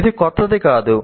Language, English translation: Telugu, This is not anything new